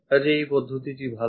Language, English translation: Bengali, So, this method is good